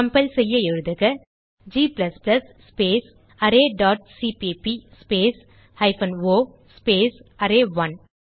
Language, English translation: Tamil, To compile type, g++ space array dot cpp space hypen o space array1